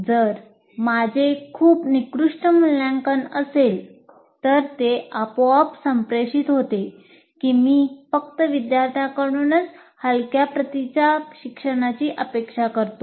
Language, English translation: Marathi, If I have a very poor assessment, automatically it communicates that I am expecting only poor learning from the students